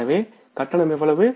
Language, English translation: Tamil, So, payment will be for how much